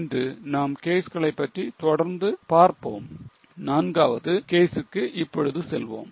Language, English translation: Tamil, Today we will continue with the cases and we'll go for the fourth case right away